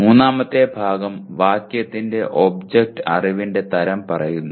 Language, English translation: Malayalam, And the third part the object of the phrase states the type of knowledge